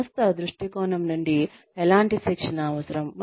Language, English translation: Telugu, From the organization's point of view, what kind of training is required